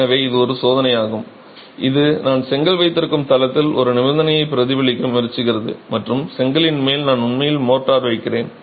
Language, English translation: Tamil, So, it's a test that is trying to replicate a condition at the site where I have a brick course and on top of the brick course I'm actually placing motor